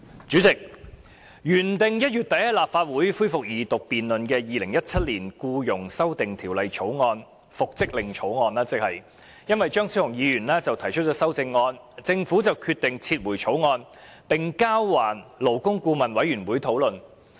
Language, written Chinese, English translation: Cantonese, 主席，原定於1月底提交立法會恢復二讀辯論的《2017年僱傭條例草案》，因為張超雄議員提出修正案而被政府抽起，交還勞工顧問委員會討論。, President the Second Reading debate of the Employment Amendment Bill 2017 the Bill was originally scheduled to resume in the Legislative Council at the end of January . Yet owing to the amendments proposed by Dr Fernando CHEUNG the Government withdrew the Bill and forwarded the proposed amendments to the Labour Advisory Board LAB for discussion